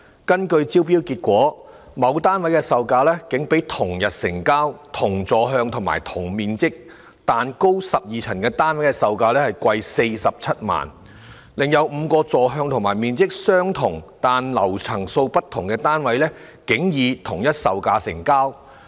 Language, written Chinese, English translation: Cantonese, 根據招標結果，某單位的售價竟比同日成交、同座向及同面積但高12層的單位的售價貴47萬元，另有5個座向和面積相同但層數不同的單位竟以同一售價成交。, According to the tender results a certain unit was sold unexpectedly at a price of 470,000 higher than that of another unit with the same orientation and size but 12 storeys higher which was sold on the same day and five other units with the same size and orientation but on different floors were sold surprisingly at the same price